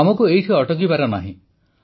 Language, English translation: Odia, We must not stop here